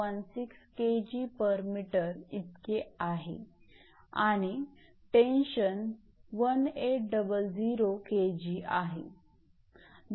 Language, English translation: Marathi, 16 kg per meter and the working tension is 1800 kg